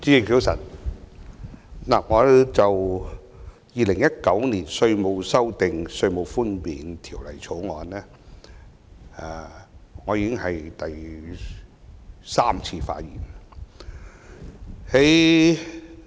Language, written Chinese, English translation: Cantonese, 這次已是我就《2019年稅務條例草案》第三次發言。, This is my third time to speak on the Inland Revenue Amendment Bill 2019